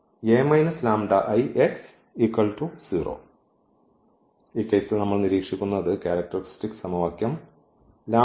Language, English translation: Malayalam, So, in this case again we need to write the characteristic equation